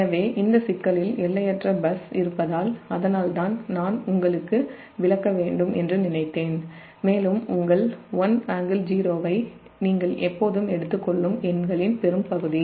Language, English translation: Tamil, so because in this problem that infinite bus is there, that's why i thought i should explain you and most of the numerical this that you always take that your one angle, zero